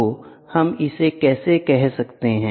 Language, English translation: Hindi, So, how can we do it